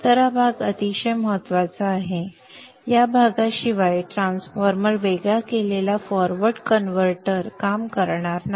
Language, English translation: Marathi, So this path is very very important without this path this transformer isolated forward converter will not work